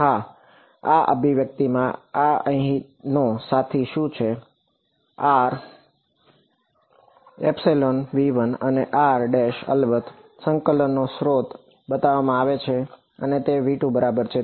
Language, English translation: Gujarati, Yes, in this expression what this fellow over here is r belongs to v 1 and r prime of course, the region of integration is shown to be v 2 ok